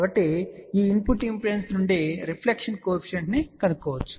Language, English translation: Telugu, So, from this input impedance, we can find out the reflection coefficient